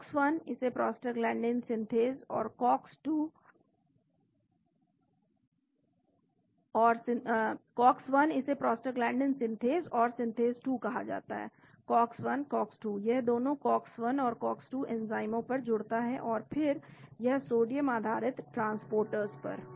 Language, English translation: Hindi, COX 1 this is called prostaglandin synthase 1 and synthase 2, COX 1, COX 2 it binds to both COX 1 and COX 2 enzymes and then other sodium dependant transporters